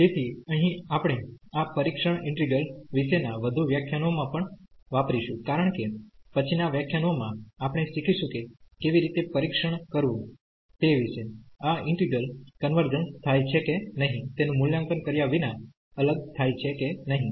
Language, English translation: Gujarati, So, here we also use in further lectures about this test integrals because in the next lectures we will learn about how to how to test whether this converge this integral converges or it diverges without evaluating them